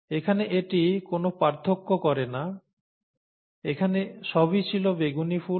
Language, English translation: Bengali, Here it does not make a difference; here everything had only purple flowers